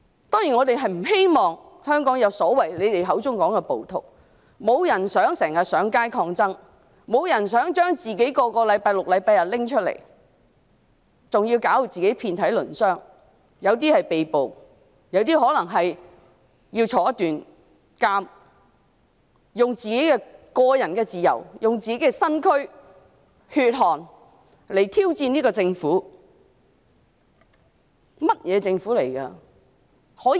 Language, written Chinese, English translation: Cantonese, 當然，我們不希望香港出現你們口中所說的暴徒，沒有人希望要經常上街抗爭，亦沒有人希望每逢星期六、日都要上街，還要把自己弄至遍體鱗傷，有些人可能會被捕，有些人可能要坐牢，他們以自己的個人自由、身軀和血汗來挑戰這個政府，這究竟是一個怎樣的政府？, Of course we do not wish to see those rioters as you people call them to emerge in Hong Kong . No one wishes to take to the streets to participate in resistance activities frequently and no one wishes to take to the streets every Saturday and Sunday . They would even get themselves badly injured some people may be arrested and some may have to go to jail